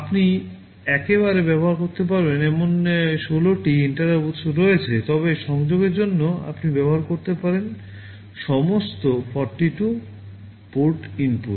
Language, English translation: Bengali, There are 16 interrupting sources you can use at a time, but all the 48 port inputs you can use for the connection